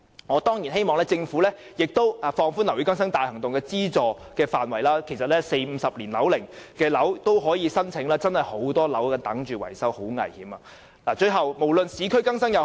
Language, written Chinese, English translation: Cantonese, 我當然希望政府可以放寬樓宇更新大行動的資助範圍，讓40至50年樓齡的樓宇也可以提出申請，因為現時真的有很多樓宇正在等待維修，樓宇的情況十分危險。, I surely hope that the Government can extend the scope of assistance of OBB to cover buildings aged 40 to 50 years because there are too many buildings waiting to be repaired and the conditions of these buildings are very dangerous